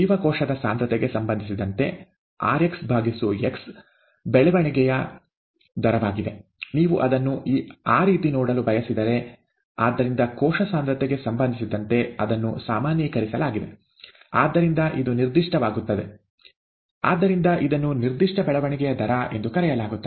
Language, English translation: Kannada, It is all it is growth rate with respect to cell concentration ‘rx by x’, if you want to look at it that way; therefore that has been normalized with respect to cell concentration; therefore it becomes specific, and therefore, it is called specific growth rate